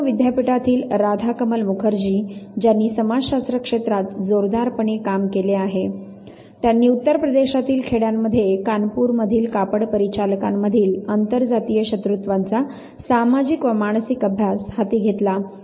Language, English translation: Marathi, Radhakamal Mukerjee who has heavily worked in the area of sociology from the Lucknow university, he took up the study on a sociological and psychological study of inter caste hostilities in the village of UP among textile operatives in Kanpur